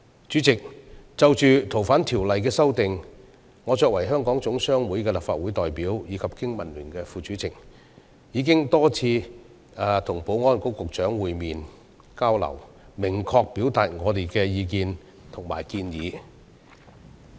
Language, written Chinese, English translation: Cantonese, 主席，就《逃犯條例》的修訂，我作為香港總商會的立法會代表及經民聯副主席，已多次與保安局局長會面、交流，明確表達我們的意見及建議。, President as the representative of the Hong Kong General Chamber of Commerce HKGCC in the Legislative Council and the Vice Chairman of BPA I have met and communicated with the Secretary for Security on a number of occasions to clearly express our views and suggestions on the amendments to the Ordinance